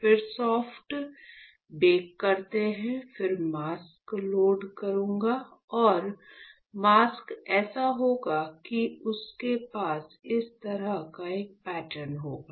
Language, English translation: Hindi, Then performs soft bake, then I will load a mask; and the mask will be such that, it will have a pattern like this and like this and this